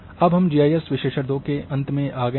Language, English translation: Hindi, So,this brings to the end of a GIS analysis 2